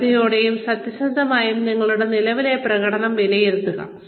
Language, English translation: Malayalam, Carefully and honestly, assess your current performance